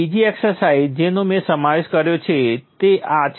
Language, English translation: Gujarati, Another exercise which I have included is this